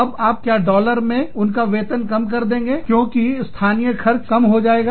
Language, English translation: Hindi, Do you reduce the salary, in terms of dollars, because their expenses locally, will not go down